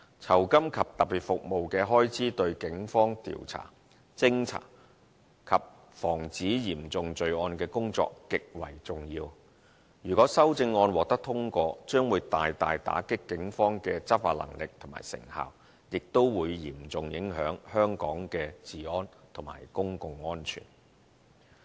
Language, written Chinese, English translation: Cantonese, 酬金及特別服務的開支對警方調查、偵查及防止嚴重罪案的工作極為重要，如果修正案獲得通過，將會大大打擊警方的執法能力和成效，亦會嚴重影響香港的治安和公共安全。, RSS expenses are highly important to the inquiring investigating and serious crime prevention work of the Police . If the amendments are passed the law enforcement capabilities and effectiveness of the police will be seriously impaired which will in turn severely affect the law and order and public safety of Hong Kong